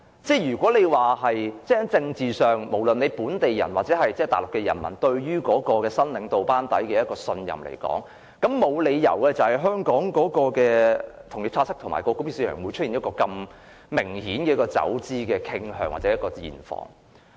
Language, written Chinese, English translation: Cantonese, 在政治上，不論是本地人或大陸人民對於新領導班底的信任，沒理由會使香港的同業拆息及港元匯價市場出現一個如此明顯的走資傾向或現況。, Politically there is no reason that the confidence of the people be they locals or Mainlanders in the new governing team would give rise to such an obvious trend or reality of capital outflows from Hong Kongs interbank money market and the Hong Kong dollar foreign exchange market